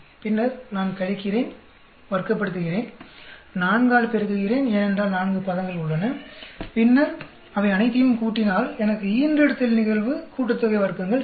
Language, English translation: Tamil, Then, I subtract, square, multiply by 4, because there are four terms, then add up all of them I will get litter sum of squares